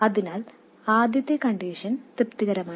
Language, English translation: Malayalam, So the first condition is satisfied